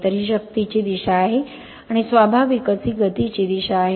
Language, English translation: Marathi, So, this is the direction of the force and naturally this is the direction of the motion right